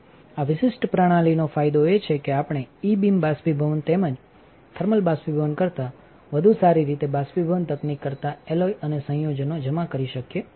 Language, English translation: Gujarati, The advantage of this particular system is that, we can deposit alloys and compounds better than evaporation technique better than E beam evaporation as well as the thermal evaporation